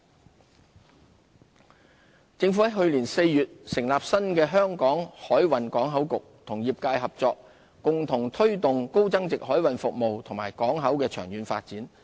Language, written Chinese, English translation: Cantonese, 海運業政府於去年4月成立新的香港海運港口局，與業界合作，共同推動高增值海運服務業和港口的長遠發展。, The Hong Kong Maritime and Port Board was established last April to work closely with the industry to foster the long - term development of high value - added maritime and port services